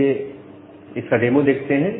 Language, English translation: Hindi, Now, let us look into the demo of this one